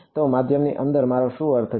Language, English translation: Gujarati, So, what do I mean by inside the medium